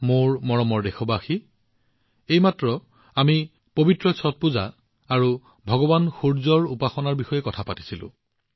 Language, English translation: Assamese, My dear countrymen, we have just talked about the holy Chhath Puja, the worship of Lord Surya